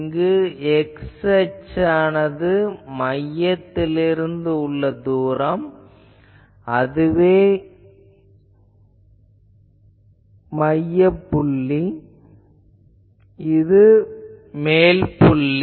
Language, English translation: Tamil, And here in the x axis is plotted the distance from the center, so that means this is the central point, and this is the top point